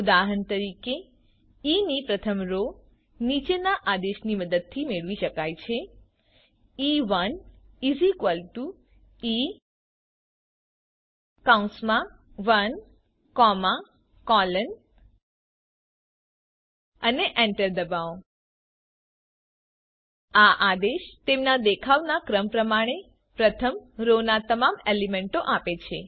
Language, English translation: Gujarati, For example, first row of E can be obtained using the following command: E1 = E into bracket 1 comma colon and press enter The command returns all the elements of the first row in the order of their appearance in the row